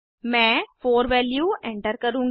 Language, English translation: Hindi, I will enter value as 4